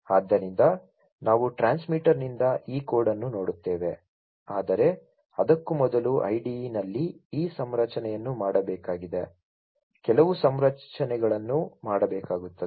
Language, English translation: Kannada, So, we will look at this code from the transmitter, but before that in the IDE this configuration will have to be made, few configurations will have to be made